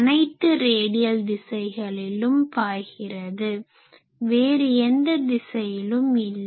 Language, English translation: Tamil, So, all radial directions it is flowing out, but in no other direction it is flowing